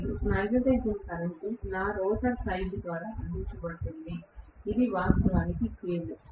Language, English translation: Telugu, And the magnetising current is provided by whatever is my rotor side, which is actually field, right